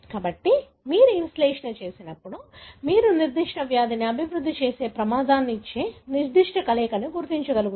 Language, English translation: Telugu, So, when you do this analysis, you will be able to identify certain combination that gives you more risk of developing a particular disease